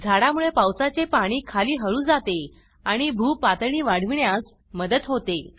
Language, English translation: Marathi, Trees slow down rain water and helps in increasing groundwater level